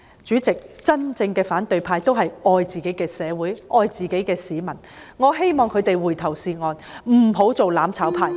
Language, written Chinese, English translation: Cantonese, 主席，真正的反對派都是愛自己的社會、愛自己的市民的，我希望他們回頭是岸，不要做"攬炒派"。, Chairman the real opposition love their own society as well as their fellow citizens . I hope that they get back on the right path and refrain from being the mutual destruction camp